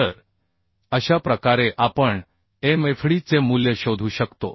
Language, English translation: Marathi, So this is how we can find out the value of Mfd